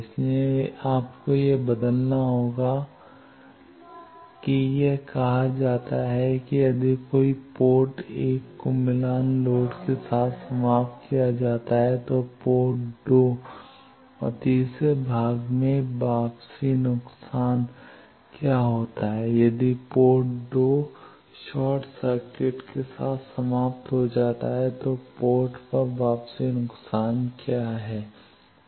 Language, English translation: Hindi, So, you will have to change that to then, it is said if the port 1 is terminated with match load what is the return loss at port 2 and third part if the port 2 is terminated with short circuit what is the return loss at port 1